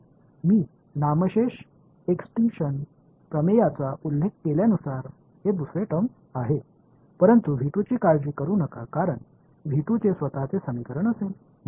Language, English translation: Marathi, And this is the second term is as I mentioned extinction theorem, but do not worry about V 2 because V 2 will have its own equation right